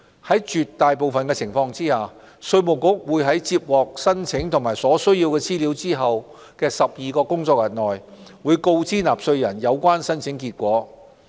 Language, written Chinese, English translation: Cantonese, 在絕大部分情況下，稅務局會在接獲申請及所需資料後的12個工作天內，告知納稅人有關申請結果。, In most cases IRD will inform taxpayers of the application results within 12 working days upon receipt of applications and necessary information